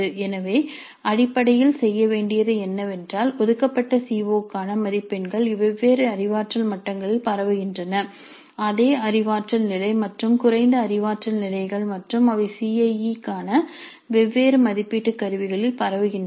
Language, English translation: Tamil, So basically what needs to be done is that the marks for the CO which have been allocated are spread over different cognitive levels the same cognitive level and lower cognitive levels and they are spread over different cognitive levels, the same cognitive level and lower cognitive levels and they are spread over different assessment instruments for the CIE